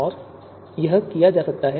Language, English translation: Hindi, And this can be done